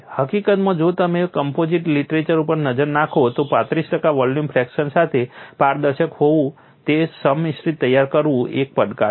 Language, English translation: Gujarati, In fact, if it look at composite literature, preparing a composite which is transparent with 35 percent volume, fraction is a challenge